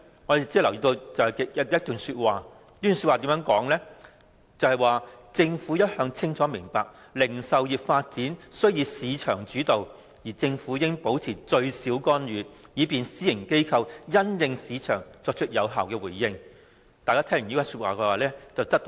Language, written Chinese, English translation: Cantonese, 我們只留意到有以下的描述："政府一向清楚明白零售業發展須以市場主導，而政府應保持最少干預，故此應用這零售設施規劃的概括方法時必須具彈性"。, We noticed the following provision Flexibility should be exercised in the application of the broad approach as Government upholds the view that retail development should be market - driven and that planning intervention should be kept to the minimum